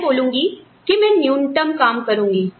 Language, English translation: Hindi, I will say, I will do the bare minimum